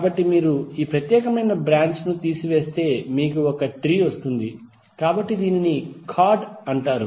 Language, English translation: Telugu, So if you removed this particular branch then you get one tree so this is called chord